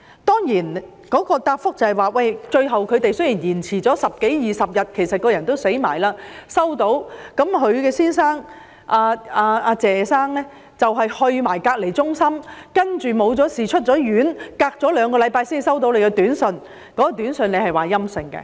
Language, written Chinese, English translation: Cantonese, 當局答覆，最後出現了十多二十天的延誤，人亦已過身才收到短訊，她的丈夫謝先生亦已前往隔離中心，沒事出院後兩星期才接獲短訊，而短訊表示檢測結果為陰性。, The Administration replied that there was a delay of 10 to 20 days . When the SMS arrived Ms LEE had passed away . Her husband Mr TSE had been sent to a quarantine centre and only received two weeks after his release from quarantine an SMS informing him of a negative test result